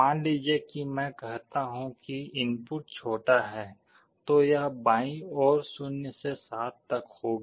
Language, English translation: Hindi, Suppose I say that the input is smaller; then it will be on the left half 0 to 7